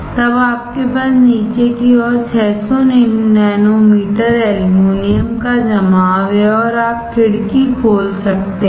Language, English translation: Hindi, Then you have 600 nanometer of aluminum deposition on the bottom and you can open the window